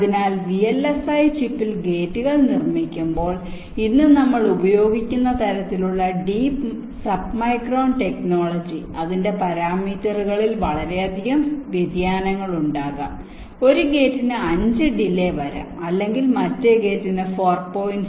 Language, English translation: Malayalam, so when gates are fabricated in the vlsi chip using the kind of deep segmum submicron technology that we use today, there can be lot of variations in parameters, like one gate can be having a delay of five, or the other gate can be having a delay of four point seven